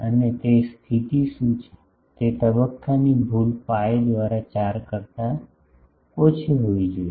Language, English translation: Gujarati, And, what is the condition that that phase error should be less than pi by 4